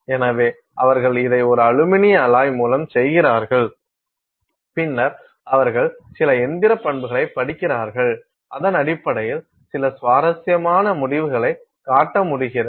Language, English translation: Tamil, So, they do this with an aluminium alloy and then they study some mechanical properties and they are able to show some interesting results based on that